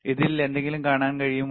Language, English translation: Malayalam, Can you see anything in that this one